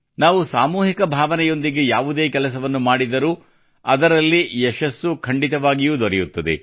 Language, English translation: Kannada, When we perform any work with this spirit of collectivity, we also achieve success